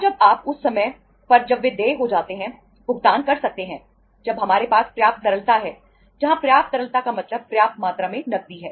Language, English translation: Hindi, And when you can make the payments on the say at the time when they become due, when we have the adequate liquidity where adequate liquidity means sufficient amount of the cash